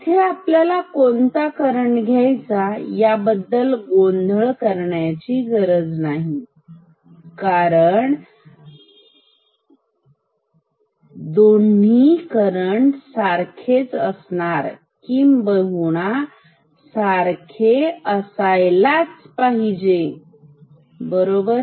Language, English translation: Marathi, We have no confusion about which current to take, this current or this current; because both of them are going to be same, they have to be same ok